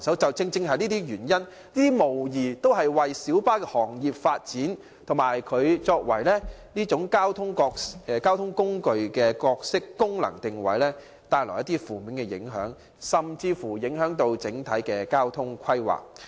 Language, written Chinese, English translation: Cantonese, 這些問題無疑為小巴的行業發展、其作為公共交通工具的角色、功能定位帶來負面影響，甚至影響本港整體的運輸規劃。, Undoubtedly such problems have negative impacts on the light bus trade with regard to its development as well as its roles and functions as a means of public transport; and the overall transport planning of Hong Kong may also be affected